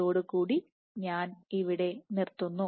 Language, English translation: Malayalam, So, with that I end here